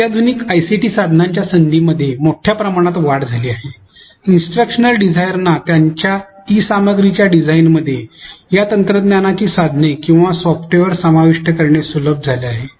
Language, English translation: Marathi, As opportunities for sophisticated ICT tools have increased tremendously, it has become very easy for instructional designers to incorporate a range of these technology tools or software in the design of their e content